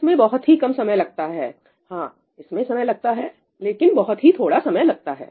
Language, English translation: Hindi, It costs very little time – yes, it does cost time, but very little time